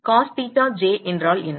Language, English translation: Tamil, What is cos theta j